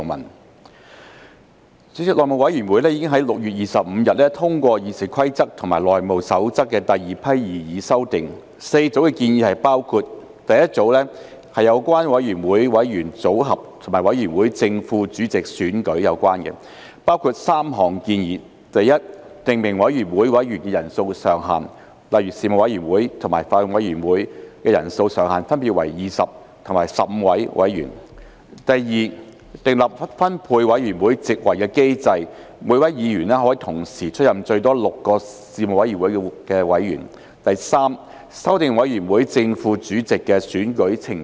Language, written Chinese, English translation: Cantonese, 代理主席，內務委員會已於6月25日通過《議事規則》及《內務守則》的第二批擬議修訂 ，4 組建議包括：第一組是有關委員會委員組合及委員會正副主席選舉，包括3項建議：第一，訂明委員會委員人數上限，例如事務委員會及法案委員會的人數上限分別為20及15名委員；第二，訂立分配委員會席位的機制，每名議員可同時出任最多6個事務委員會的委員；第三，修訂委員會正副主席的選舉程序。, Deputy President the second batch of proposed amendments to RoP and the House Rules HR was already passed by the House Committee on 25 June . The four groups of proposals include as follows The first group concerns committee membership and election of the chairman and deputy chairman of a committee . Three proposals are included firstly specifying a cap on the membership size of committees; for example the sizes of Panels and Bills Committees will be capped at 20 and 15 members respectively; secondly putting in place a mechanism for allocation of committee seats with each Member being able to serve on a maximum of six Panels at the same time; thirdly amending the procedure for election of the chairman and deputy chairman of a committee